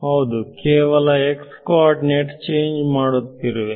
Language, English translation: Kannada, So, yeah, so we are changing only x coordinates over here